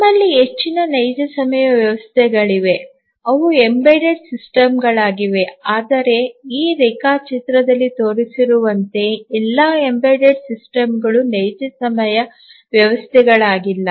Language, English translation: Kannada, So, we have majority of the real time systems are embedded systems, but not all embedded systems are real time systems as shown in this diagram and also there are some real time systems which are not embedded